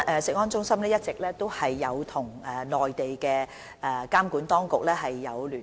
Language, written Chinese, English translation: Cantonese, 食安中心一直與內地監管當局保持聯絡。, CFS has maintained contact with the relevant Mainland regulatory authorities